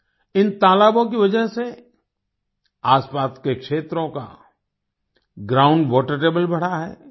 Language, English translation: Hindi, Due to these ponds, the ground water table of the surrounding areas has risen